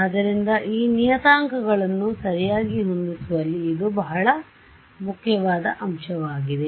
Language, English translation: Kannada, So, this is a very important aspect in setting these parameters correctly